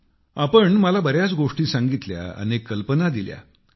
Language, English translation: Marathi, There were many points that you told me; you gave me many ideas